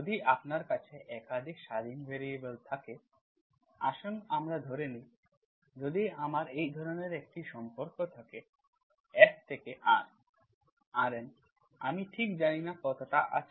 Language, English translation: Bengali, If you have more than one independent variables, let us say if I have a relation like this, if I have a relation, any relation, F from R, RN, I do not know exactly how many have